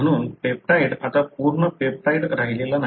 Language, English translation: Marathi, Therefore, the peptide is no longer a full peptide